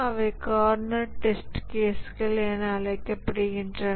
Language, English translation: Tamil, Those are called as the corner test cases